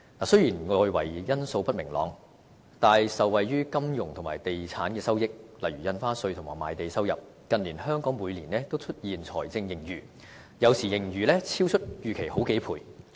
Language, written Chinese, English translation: Cantonese, 雖然外圍因素不明朗，但受惠於金融和地產的收益，例如印花稅及賣地收入，近年香港每年均出現財政盈餘，有時盈餘超出預期好幾倍。, Despite external uncertainties Hong Kong has recorded fiscal surpluses in recent years because of revenue from the financial and real estate sectors such as revenue from stamp duty and land sales and sometimes the surpluses are a few times as much as estimations . Let us take the Budget this year as an example